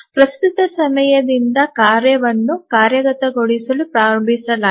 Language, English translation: Kannada, So, from the current time the task is started executing